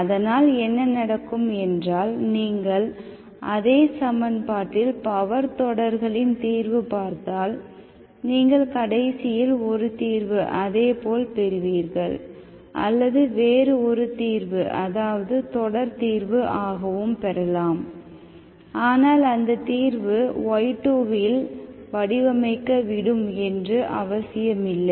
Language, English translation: Tamil, So what happens, if you look at the power series solution to the same equation, you may end up getting one solution may be same, or the other solution you may get a series solution but that need not be expression for y2 you get here